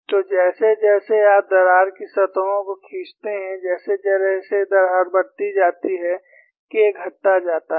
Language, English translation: Hindi, So, as you pull the crack surfaces, as the crack increases, K decreases